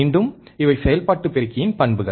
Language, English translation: Tamil, Again, these are the characteristics of an operational amplifier